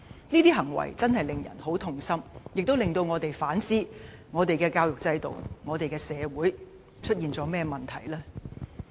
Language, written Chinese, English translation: Cantonese, 這些行為實在令人痛心，亦令我們反思，究竟我們的教育制度和社會出現了甚麼問題？, These behaviours are really heartrending and we really have to ponder what has gone wrong with our education system and society